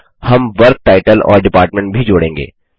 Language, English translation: Hindi, We shall also add a Work Title and Department